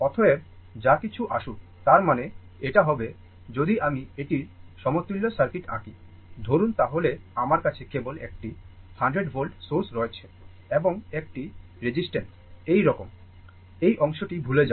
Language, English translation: Bengali, Therefore, whatever it comes; that means, it will be ; that means, if I draw the equivalent circuit of this one, suppose, then I have only one , your 100 volt source and one resistance is like this, forget about this part